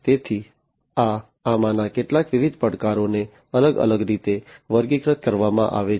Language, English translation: Gujarati, So, these are some of these different challenges categorized in different ways